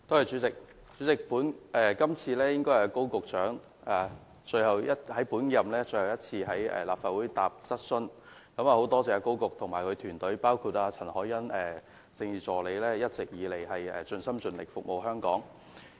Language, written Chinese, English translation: Cantonese, 主席，今次應該是高局長最後一次在本屆立法會回答質詢，很感謝他及其團隊，包括政治助理陳凱欣一直以來盡心盡力服務香港。, President this should be the last time Secretary Dr KO answers Members questions in this term of the Legislative Council . I am very grateful to Secretary Dr KO and his team including Political Assistant CHAN Hoi - yan for their long - standing dedication in serving Hong Kong